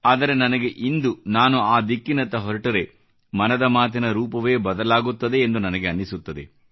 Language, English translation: Kannada, But today, I think, if I change the course of the conversation that way, the entire complexion of 'Mann Ki Baat' will change